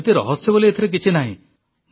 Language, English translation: Odia, Now, there is no secret in this